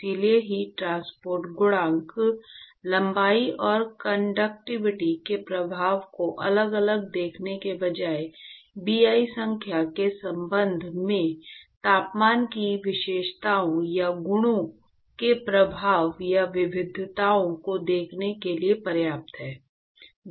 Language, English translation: Hindi, So, instead of looking at the heat transport coefficient, length, and the effect of conductivity individually, it is enough to look at the effect or the variations of the features or properties of the temperature with respect to Bi number